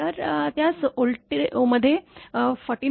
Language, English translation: Marathi, So, make it in volt divided by 49